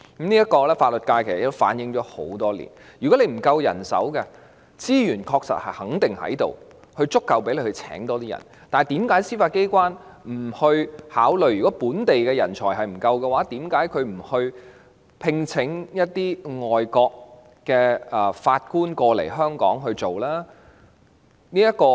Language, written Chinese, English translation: Cantonese, 其實法律界已反映這個問題多年，如果問題在於人手不足，司法機關肯定有足夠資源增聘人手；如果是因為本地人才不足，為何司法機關不考慮聘請外國法官來港工作呢？, The legal profession has in fact been voicing this problem for years . If the problem lies in manpower shortage the Judiciary definitely possesses adequate resources to recruit additional manpower . If a shortage of local talents is the reason why has the Judiciary not considered recruiting foreign judges to work in Hong Kong?